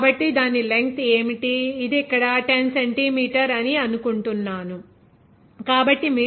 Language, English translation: Telugu, So, what is the length of that, it is given here 10 I think centimeter, so what would be the meter 0